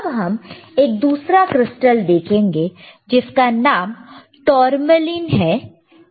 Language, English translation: Hindi, Let us see another crystal called tourmalinethermal line